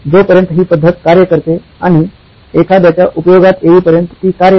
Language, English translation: Marathi, So, as long as the method works and it is of use to somebody it works